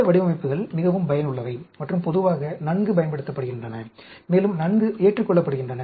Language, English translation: Tamil, These designs are very useful and well used generally, and well accepted